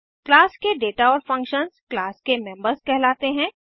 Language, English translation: Hindi, The data and functions of the class are called as members of the class